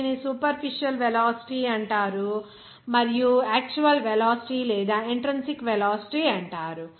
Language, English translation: Telugu, It is called superficial velocity and actual velocity or intrinsic velocity